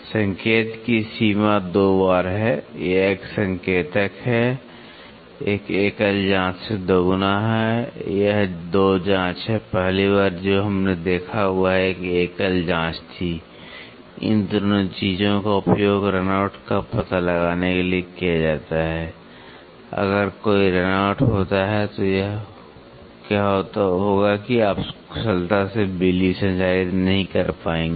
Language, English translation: Hindi, The range of indication is twice, this is an indicator is twice that of a single probe this is 2 probe the first one what we saw was a single probe both these things are used to find out the run out, if there is a run out then what will happen is you will not be able to transmit power efficiently